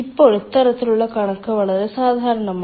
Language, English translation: Malayalam, now, this, this, this kind of figure is quite common